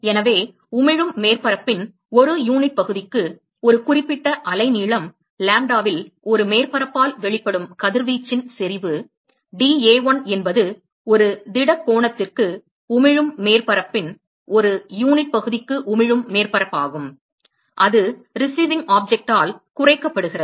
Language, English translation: Tamil, So, intensity of radiation emitted by a surface at a certain wave length lambda per unit area of the emitting surface if dA1 is the emitting surface per unit area of the emitting surface per solid angle that is subtended by the receiving object